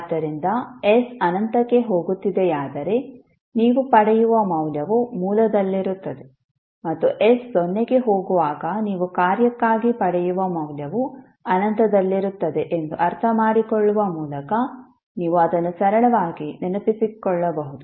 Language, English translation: Kannada, So you can simply remember it by understanding that when s tending to infinity means the value which you will get will be at origin and when s tends s to 0 the value which you will get for the function is at infinity